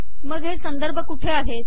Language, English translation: Marathi, So where are the references